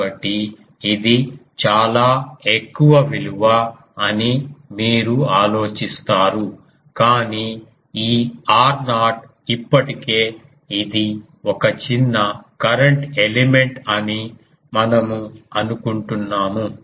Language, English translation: Telugu, So, you will be thinking that this is very high value, but this r naught [laughter] is already we assumed it is a small current element